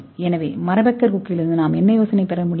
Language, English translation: Tamil, So what idea we can get from wood pecker beak